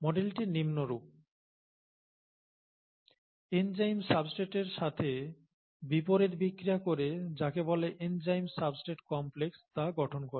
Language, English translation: Bengali, This model is as follows; the enzyme reacts with the substrate to reversibly form what is called the enzyme substrate complex, okay